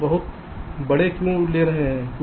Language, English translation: Hindi, why you are taking very large